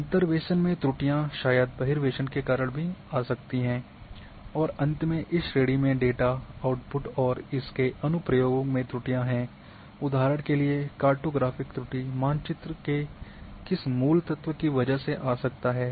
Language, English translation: Hindi, Errors in interpolation maybe due to extrapolation also errors can come and finally, in this category the errors in data output and application for example, the cartographic errors due to which cartographic part that the key elements of the map